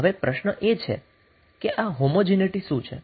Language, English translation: Gujarati, Now what is homogeneity